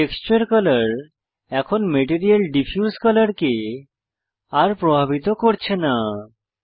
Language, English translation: Bengali, The texture color no longer influences the Material Diffuse color